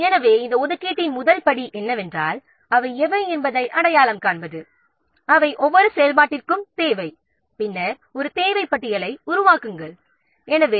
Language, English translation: Tamil, So, first step in this resource allocation is identify what are the resources they are needed for each activity and then create a resource requirement list